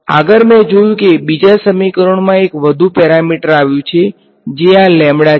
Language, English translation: Gujarati, Further, I notice the second equation has one more parameter that has come upon which is this guy lambda